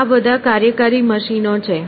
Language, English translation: Gujarati, So, these are working machines